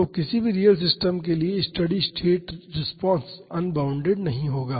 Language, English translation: Hindi, So, the steady state response for any real system will not be unbounded